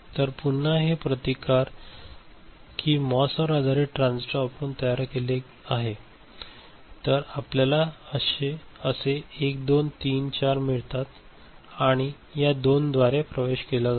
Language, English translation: Marathi, So, if these are again you know loads are made using MOS based transistor ok, then you have got 1 2 3 4 and this 2 providing access